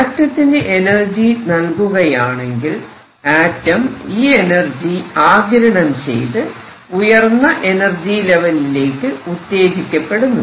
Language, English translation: Malayalam, If energy is given to an atom it absorbs energy and goes to the upper energy level